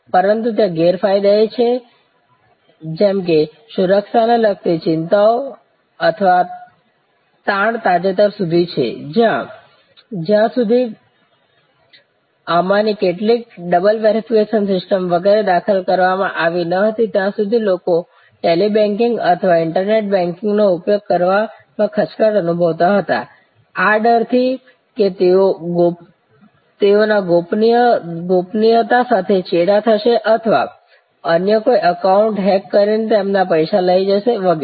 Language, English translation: Gujarati, But, there are disadvantages like there are anxieties and stress related to security till very recently, till some of this double verification systems etc were introduced people felt hesitant to use a Tele banking or internet banking, fearing that they are confidential it will become compromised or somebody else we will be able to hack into the account and take away their money and so on